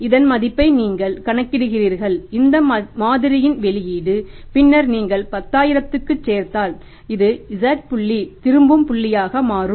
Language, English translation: Tamil, If you are here only up to Z then you calculate the value of this model, output of this model and then you add up into that 10,000 this becomes the Z point, return point